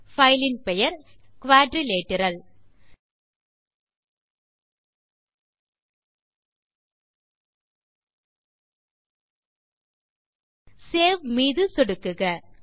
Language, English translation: Tamil, I will type the filename as quadrilateral click on Save